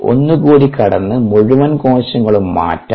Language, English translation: Malayalam, the further is changing the entire cell